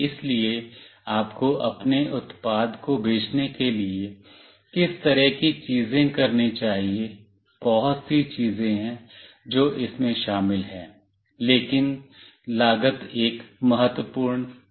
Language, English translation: Hindi, So, what kind of things you should do to sell your product, there are lot many things that are involved, but cost is an important factor